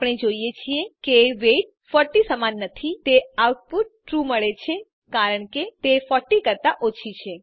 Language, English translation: Gujarati, We see, that although the weight is not equal to 40 we get the output as True because it is less than 40